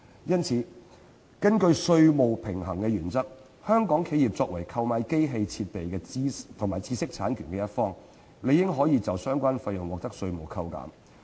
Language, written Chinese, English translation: Cantonese, 因此，根據稅務對稱原則，香港企業作為購買機器設備及知識產權一方，理應可以就相關費用獲得稅務抵扣。, For this reason under the principle of tax symmetry Hong Kong enterprises as the purchaser of machinery equipment and intellectual property rights should naturally be entitled to tax deduction in respect of the relevant costs